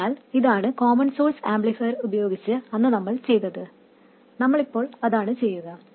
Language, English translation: Malayalam, So this is what we did with the common source amplifier and that is what we do now